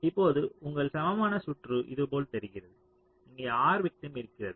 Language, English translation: Tamil, ok, so now your equivalent circuit looks like this: there is also r victim here